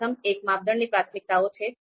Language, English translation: Gujarati, The first one is criteria priorities